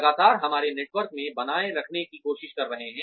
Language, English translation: Hindi, Constantly trying to maintain our networks